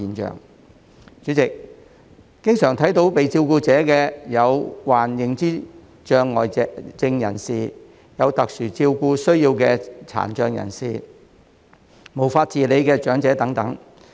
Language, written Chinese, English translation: Cantonese, 代理主席，常見的被照顧者有：患認知障礙症人士、有特殊照顧需要的殘障人士、無法自理的長者等。, Deputy President care recipients are usually dementia patients PWDs with special care needs elderly persons lacking in self - care abilities etc